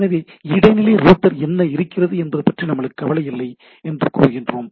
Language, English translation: Tamil, So what we say that I do not care about what intermediate router is there